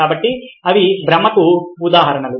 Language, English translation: Telugu, so these are examples